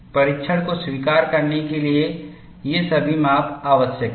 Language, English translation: Hindi, All this measurements are essential for you to accept the test